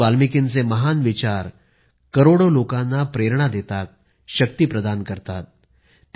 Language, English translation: Marathi, Maharishi Valmiki's lofty ideals continue to inspire millions of people and provide them strength